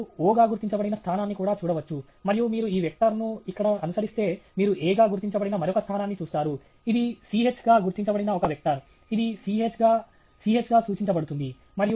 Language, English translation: Telugu, You can also see location marked as O, and if you follow this vector here, you see another location marked as A, it’s a vector which is marked as C h indicated as C h designated as C h